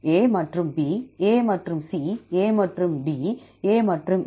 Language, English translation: Tamil, A and B, A and C, A and D, A and E